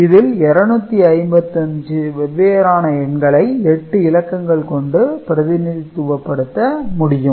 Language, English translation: Tamil, So, 255 different numbers can be represented using 8 bits